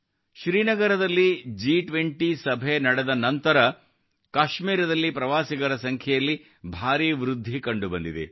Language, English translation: Kannada, After the G20 meeting in Srinagar, a huge increase in the number of tourists to Kashmir is being seen